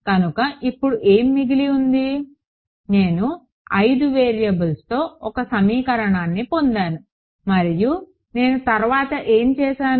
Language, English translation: Telugu, So, what remains now of course, is I have got one equation in 5 variables and what would I do next